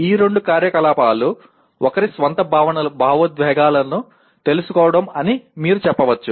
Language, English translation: Telugu, You can say these two activities are knowing one’s own emotions